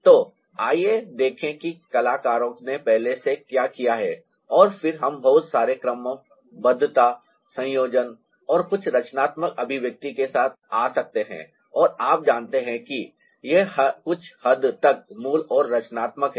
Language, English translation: Hindi, so let's see what the artist have already done, ah, and then we can ah do a lot of permutation, combination and come up with ah, some creative expression and ah, you know, that is original and creative to ah some extent, trial